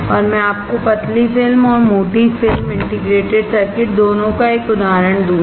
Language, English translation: Hindi, And I will give you an example of both thin film and thick film integrated circuits